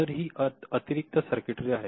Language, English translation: Marathi, So, these are additional circuitry